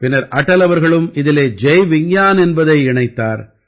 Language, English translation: Tamil, Later, Atal ji had also added Jai Vigyan to it